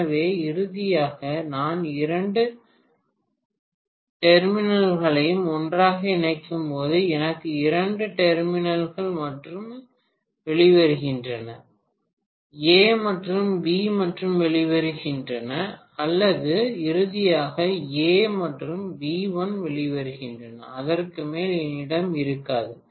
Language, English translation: Tamil, So finally, when I connect the two terminals together, I have only two terminals coming out, only A and B are coming out or I will have A and B1 coming out finally, I will not have more than that